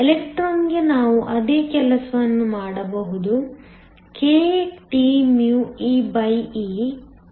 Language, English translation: Kannada, We can do the same thing for the electron; kTee, which is nothing but 34